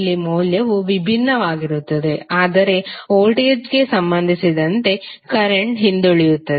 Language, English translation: Kannada, So here the value would be different but the current would be lagging with respect to voltage